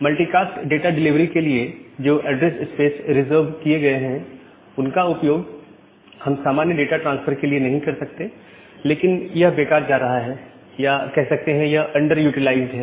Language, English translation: Hindi, So, the address space that are reserved for the multi cast data delivery we cannot use it for the normal data transfer, but that is actually being wasted or remaining underutilized